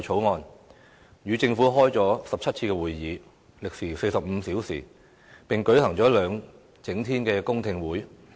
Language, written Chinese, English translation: Cantonese, 我們與政府召開了17次會議，歷時45小時，並舉行了兩整天的公聽會。, The Bills Committee has held 17 meetings ie . 45 hours of duration in total with the Government and it has also held two public hearings